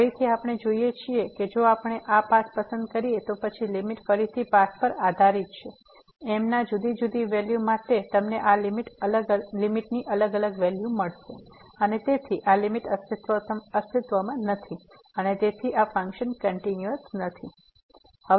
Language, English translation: Gujarati, So, again we see that if we choose this path, then the limit depends on the path again; for different values of you will get a different value of this limit and therefore, this limit does not exist and hence this function is not continuous